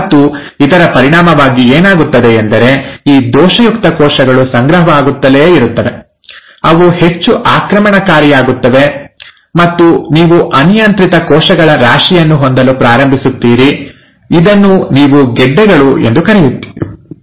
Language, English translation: Kannada, And as a result, what happens is these defective cells, they keep on accumulating, they become highly aggressive, and you start having a mass of uncontrolled cells, which is what you call as the ‘tumors’